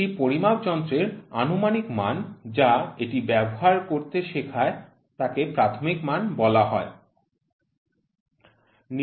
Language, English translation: Bengali, The approximate value of a measuring instrument that provides a guide to use it is called as nominal value